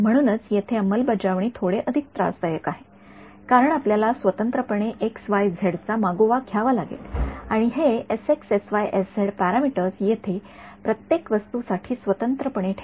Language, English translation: Marathi, So this is where I mean implementation why is here the book keeping is a little bit more tedious because you have to keep track of x y z separately and this parameters s x s y s z separately for each thing over here ok